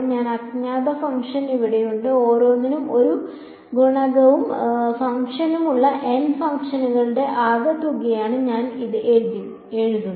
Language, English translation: Malayalam, This unknown function over here, I write it as the sum of n functions each one with a coefficient a n and the function g n